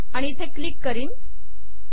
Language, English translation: Marathi, And click this